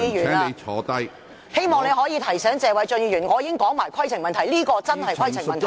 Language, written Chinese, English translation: Cantonese, 主席，我希望你提醒謝偉俊議員，這確實是規程問題。, President I hope you can give Mr Paul TSE a reminder . This is indeed a point of order